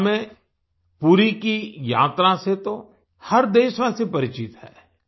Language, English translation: Hindi, All of us are familiar with the Puri yatra in Odisha